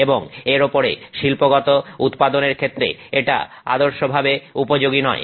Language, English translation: Bengali, This is not ideally suited for industrial production